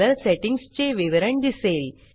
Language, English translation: Marathi, The Color Settings details appears